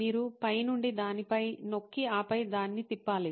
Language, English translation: Telugu, You have to press on it from the top and then rotate it